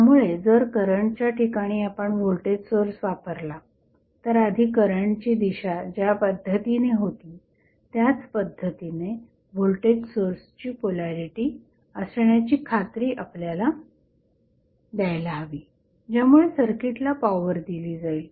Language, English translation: Marathi, So, if you place the voltage source at current location, you have to make sure that the polarity of voltage source would be in such a way that it will give power to the circuit in the same direction as the previous direction of the current was